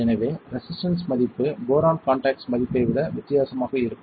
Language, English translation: Tamil, So, the resistor value will be different than the boron contact value